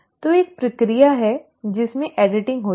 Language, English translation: Hindi, So there is a process wherein the editing takes place